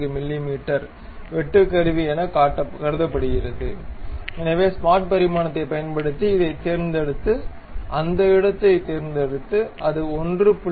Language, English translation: Tamil, 14 the tool bit, so use smart dimension pick this one, pick that point, make sure that that will be 1